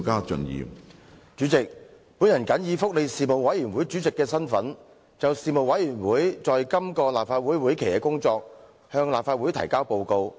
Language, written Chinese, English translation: Cantonese, 主席，我謹以福利事務委員會主席的身份，就事務委員會在今個立法會會期的工作向立法會提交報告。, President in my capacity as Chairman of the Panel on Welfare Services the Panel I submit to the Legislative Council the report of the work of the Panel for the current legislative session